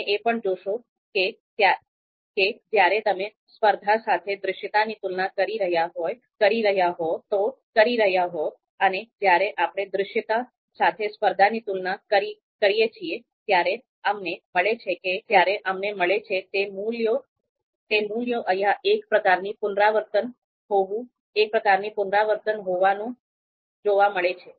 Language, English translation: Gujarati, You would also see that if you are you know compare comparing visibility with competition, so this value and when we are you know and when we are comparing competition with visibility, so this value, so you would see that this is kind of repetition here